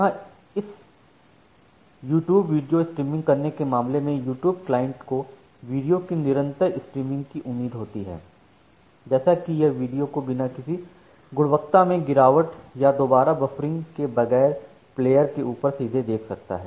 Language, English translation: Hindi, So, here in case of this YouTube video streaming the client side the YouTube client it is expecting a continuous stream of videos such that it can render the videos directly on the player and play the video without having this kind of quality drop or re buffering